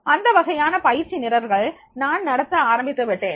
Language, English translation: Tamil, That type of training programs I have started conducting this training program